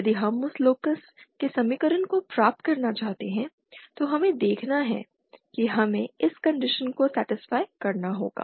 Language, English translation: Hindi, If we want to derive the equation for that lacus let us see what it is, so the condition that is we have to satisfy is